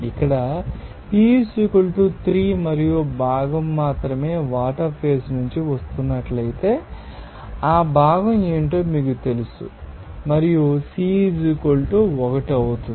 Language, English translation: Telugu, P = 3 here and you know component will be only what is that component is if it is coming from the only water phase and C will be = 1